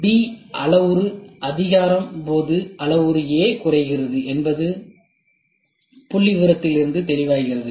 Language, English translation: Tamil, It is clear from the figure that parameter A decreases as parameter B increases